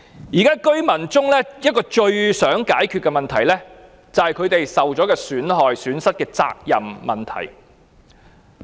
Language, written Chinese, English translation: Cantonese, 現在居民最想解決的問題是他們遭受損失的責任誰屬。, The question that the residents most wish to resolve now is who should be held responsible for their losses